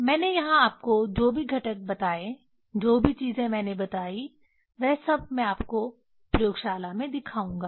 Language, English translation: Hindi, Whatever components I told you here whatever things I told everything I will show you in laboratory